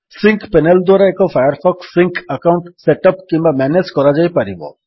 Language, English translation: Odia, The Sync panel lets you set up or manage a Firefox Sync account